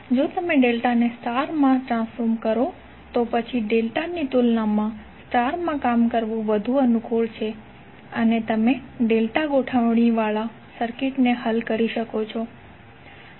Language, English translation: Gujarati, Now if you convert delta to star then sometimes it is more convenient to work in star than in delta and you can solve the circuit which contain delta configuration